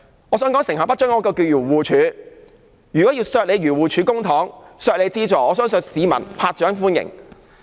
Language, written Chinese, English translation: Cantonese, 我想說，成效不彰的是漁護署，如果要削減漁護署的撥款，我相信市民會拍掌歡迎。, I wish to point out that it is AFCD that has been working ineffectively . I believe people will applause if I slash its allocation